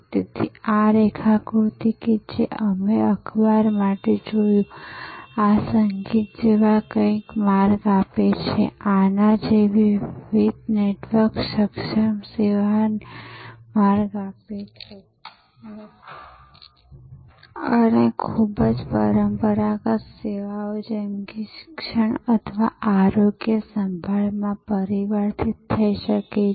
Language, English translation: Gujarati, So, this diagram that we saw for newspaper, giving way to something like this music, giving way to different network enabled service like these may permeate and transform very traditional services, like education or health care